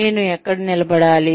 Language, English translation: Telugu, Where do I stand